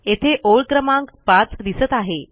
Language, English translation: Marathi, It says here line 5